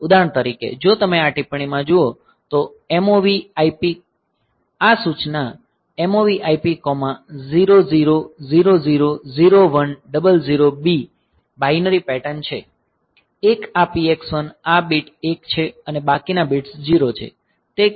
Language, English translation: Gujarati, So, MOV IP, this instruction, MOV IP comma 00000100B, the binary pattern so, 1 this PX1 this bit is 1 and rest of the bits are 0